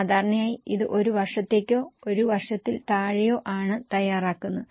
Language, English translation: Malayalam, Typically it is prepared for one year or less than one year